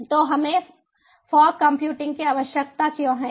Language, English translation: Hindi, so why do we need fog computing